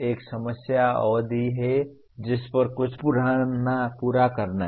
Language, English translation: Hindi, There is a time duration over which something has to be completed